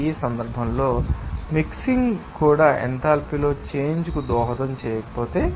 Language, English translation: Telugu, In this case, if the mixing itself does not contribute to a change in enthalpy